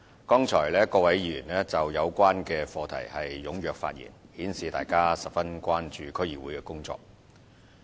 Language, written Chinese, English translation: Cantonese, 剛才各位議員就有關課題踴躍發言，顯示大家十分關注區議會的工作。, Earlier on a number of Members spoke enthusiastically on the topic showing that Members are very much concerned about the work of District Councils DCs